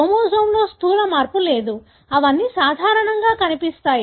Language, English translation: Telugu, There is no gross change in the chromosome, they all look normal